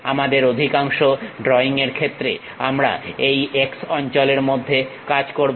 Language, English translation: Bengali, Most of our drawing we work in this X location